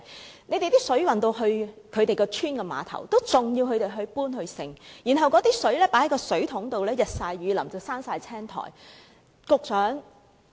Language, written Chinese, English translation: Cantonese, 我們看到，當水運到這些鄉村的碼頭後，村民仍要自行搬運，而載水的水桶經過日曬雨淋已長滿青苔。, We saw that after water was shipped to the piers of these villages villagers still had to carry the water themselves . And the water buckets were fully covered in moss after being exposed to the elements